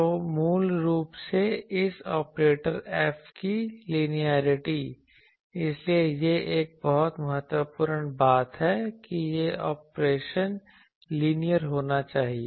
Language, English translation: Hindi, So, basically the linearity of this operator F; so, I should say that it is a very important thing that this operation should be linear